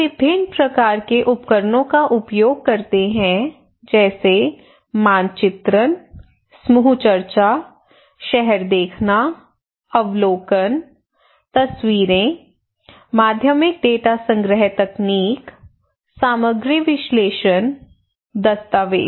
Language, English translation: Hindi, We use different kind of tools like mapping, group discussions, town watching, observations, photographs, secondary data collection techniques and methods were also used like content analysis, documentations okay